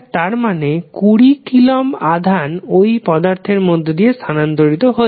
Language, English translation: Bengali, It means that 20 coulomb of charge is being transferred from through the element